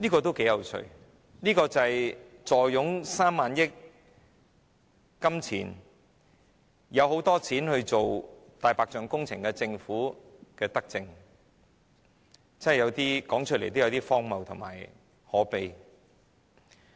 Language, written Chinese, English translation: Cantonese, 這是頗有趣的，這就是坐擁3萬億元儲備，有很多金錢進行"大白象"工程的政府的德政，說出來也真的有點荒謬及可悲。, How interesting it is . Can this be regarded as a benevolent measure of the Government which is sitting on the reserves of 3,000 billion and is spending a lot of money on the white elephant projects? . This is absurd as well as pathetic indeed